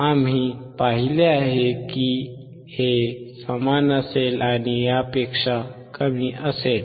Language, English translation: Marathi, We have seen that, this would be same, and this would be less than